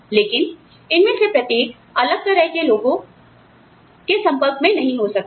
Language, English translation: Hindi, But, may not be in touch with, each of these, different people